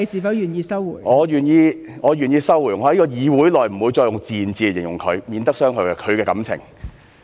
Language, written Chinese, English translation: Cantonese, 我願意收回，我在這個議會內，不會再用"賤"字來形容他，免得傷害他的感情 ，OK？, I am willing to withdraw it . I will not use the word ignoble to describe him again in this Council lest his feelings should be hurt okay?